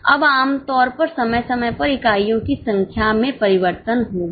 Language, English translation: Hindi, Now normally there will be change in the number of units from period to period